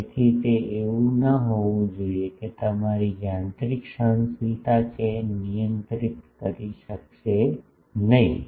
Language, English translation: Gujarati, So, that should not be such that your mechanical tolerance would not be able to handle that